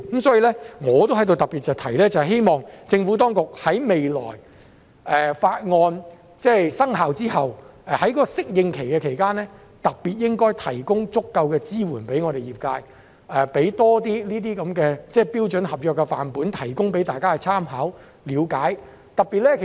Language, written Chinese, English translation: Cantonese, 所以，我在此亦特別提出，希望未來政府當局在《條例草案》生效之後的適應期期間，特別向業界提供足夠支援，包括給予他們多一些標準的合約範本以供參考及了解。, Therefore I would like to particularly point out here that I hope the Government can provide sufficient support for the sector during the adaptation period after the Bill comes into effect including the provision of more standard sample contracts for our reference and understanding